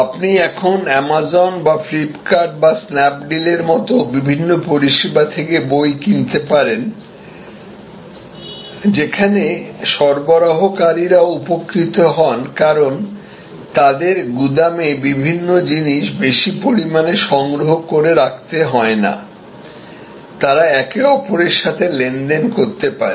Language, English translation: Bengali, You can buy now books from various services like Amazon or Flipkart or other Snap Deal, where the suppliers also benefits because, they do not have to accumulate a variety of products in a very large warehouse, they can transact with each other